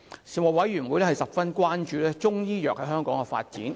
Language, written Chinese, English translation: Cantonese, 事務委員會十分關注中醫藥在香港的發展。, The Panel was very concerned about Chinese medicine development in Hong Kong